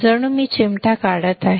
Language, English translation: Marathi, As if I am pinching off